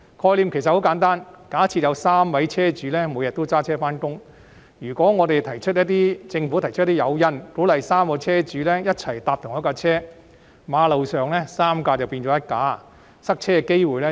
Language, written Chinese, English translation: Cantonese, 概念很簡單，假設有3名車主每天也駕車上班，如果政府提出一些誘因，鼓勵3名車主一起乘坐同一輛車，馬路上3輛車變成1輛車，從而減低塞車的機會。, The concept is simple . Assuming three car owners each drive their cars to work every day if the Government provides some incentives to encourage these three car owners to ride together in the same car to work there will be one car on the road instead of three thereby reducing the chance of congestion